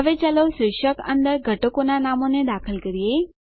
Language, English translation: Gujarati, Now, lets enter the names of the components under the heading